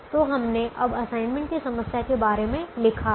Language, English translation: Hindi, now how do we solve an assignment problem